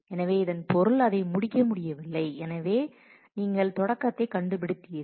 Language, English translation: Tamil, So, which means that it could not be completed and therefore, you have found the start